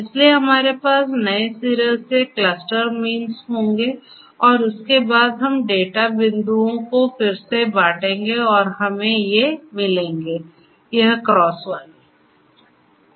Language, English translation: Hindi, So, we will have the renewed cluster means right and thereafter we reassign the data points and we get these sorry these will be the cross ones